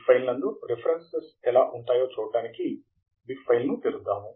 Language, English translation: Telugu, Let us open the bib file to see how the references look like